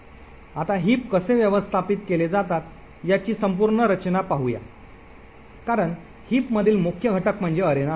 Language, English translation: Marathi, Now let us look at the whole structure of how the heap is managed as we know the main component in the heap is the arena